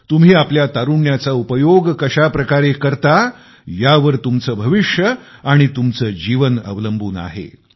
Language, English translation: Marathi, Your life & future entirely depends on the way your utilized your youth